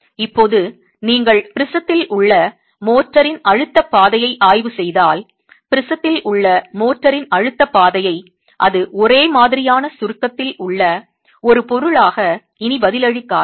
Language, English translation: Tamil, Now if you were to examine the stress path of the motor in the prism, The stress path of the motor in the prism, it is no longer responding as a material that is a uniaxial compression